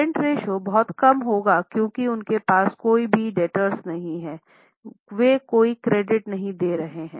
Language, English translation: Hindi, The current ratio will be very less because they don't have to give any, they don't have to have any debtors